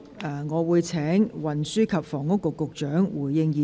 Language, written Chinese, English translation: Cantonese, 我現在請運輸及房屋局局長發言。, I now call upon the Secretary for Transport and Housing to speak